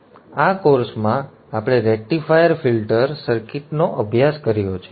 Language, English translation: Gujarati, So in this course, in this course we have studied the rectifier filter circuit